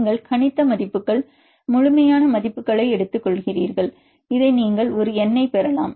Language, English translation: Tamil, You take the predicted values take the absolute values and you can get this a N